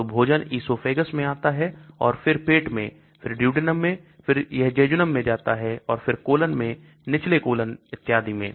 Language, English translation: Hindi, So the food comes to esophagus, then stomach, then duodenum, then it comes to jejunum and then colon, descending colon and so on